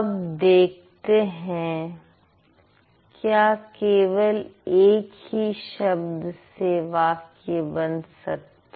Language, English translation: Hindi, Sometimes only one word can also make a sentence